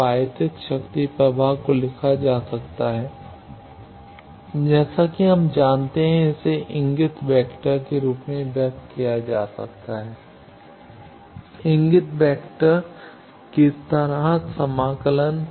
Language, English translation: Hindi, Now, the incident power flow can be written like we know, it can be expressed as the pointing vector, surface integration of pointing vector